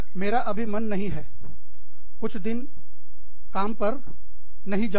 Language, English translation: Hindi, I just do not feel like, going to work, some days